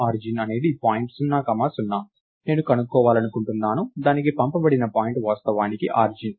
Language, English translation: Telugu, So, origin is the point 0 comma 0, I want to find out, if the point thats passed on to it is actually the origin